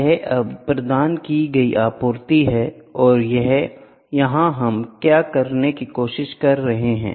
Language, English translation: Hindi, It is now supply provided and here what are we trying to do